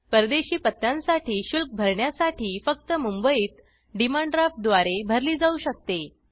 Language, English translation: Marathi, For foreign addresses, payment can be made only by way of Demand Draft payable at Mumbai